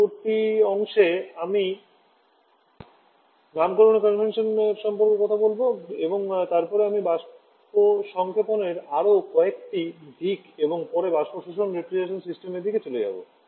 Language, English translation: Bengali, I would like to stop here itself in the next class I shall have talking about the naming convention and then I shall be moving to a few other aspects of vapour compression and subsequent the vapour absorption refrigeration system